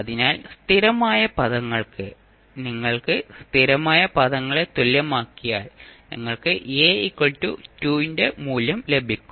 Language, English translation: Malayalam, So, for constant terms, if you equate the only constant terms, you will simply get the value of A that is equal to 2